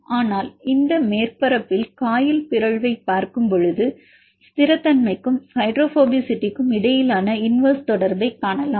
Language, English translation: Tamil, But in the case of the coil mutation look at this surface you can see the universe relationship between stability as well as the hydrophobicity right